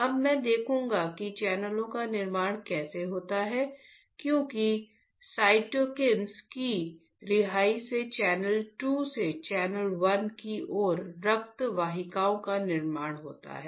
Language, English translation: Hindi, Now, I will see how there is a formation of channels because, the release of cytokines there is a formation of blood vessels from channel 2 towards channel 1 like this